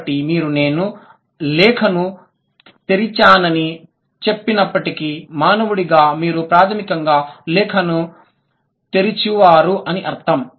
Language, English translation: Telugu, So, though you say I opened the letter, you as a human, you are basically letter opener